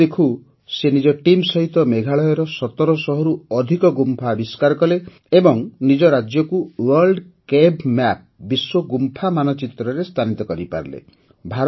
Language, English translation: Odia, Within no time, he along with his team discovered more than 1700 caves in Meghalaya and put the state on the World Cave Map